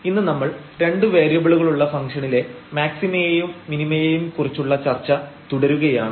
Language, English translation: Malayalam, And, today we will continue our discussion on Maxima and Minima of Functions of Two Variables